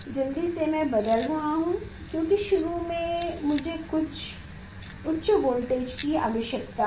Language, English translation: Hindi, quickly I am changing because initially I need some higher voltage